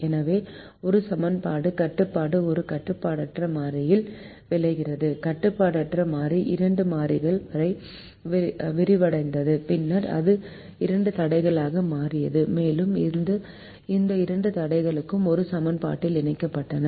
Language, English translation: Tamil, the, the unrestricted variable got expanded to two variables and then it became two constraints and these two constraints were merged into to an equation